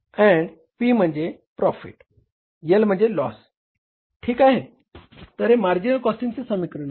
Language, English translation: Marathi, So, this is the marginal cost equation